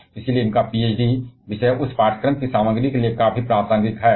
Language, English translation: Hindi, And therefore, his PhD topic is quite relevant to the content of this course